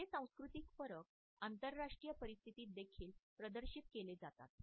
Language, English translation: Marathi, These cultural differences are also exhibited in international situations